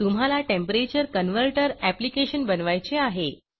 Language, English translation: Marathi, The task is to create a Temperature convertor application